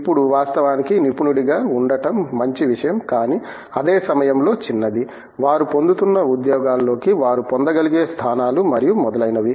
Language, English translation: Telugu, Now, of course, being an expert is a good thing but, at the same time that probably narrows down, the kinds of positions that they can get into the jobs that they are getting and so on